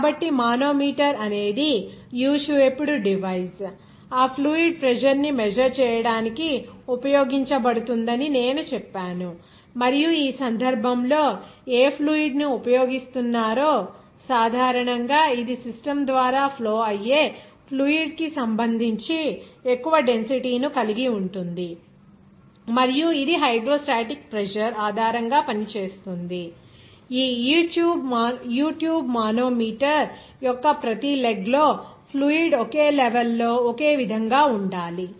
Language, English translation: Telugu, So, a manometer is a U shaped device that I told that is being used for measuring that fluid pressure and in this case whatever fluid is being used generally it will higher density relative to the fluid that is flowing through the system and it works based on the fact that hydrostatic pressure at the same level in the same fluid must be same in each leg of this U tube manometer